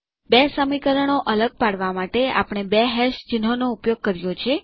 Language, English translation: Gujarati, And the rows are separated by two hash symbols